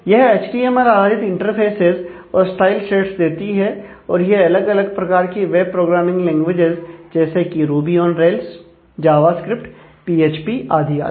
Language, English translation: Hindi, So, they feature interfaces built with HTML and the style shades, and they have powered by different web programming languages like, ruby on rails java script to PHP and so on